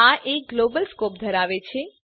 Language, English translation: Gujarati, These have a Global scope